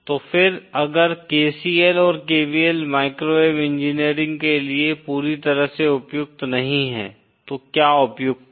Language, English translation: Hindi, So then, if KCL and KVL are not totally applicable for microwave engineering then what is applicable